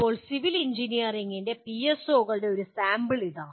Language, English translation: Malayalam, Now here is a sample of PSOs of civil engineering